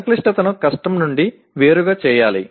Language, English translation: Telugu, The complexity should be differentiated from the difficulty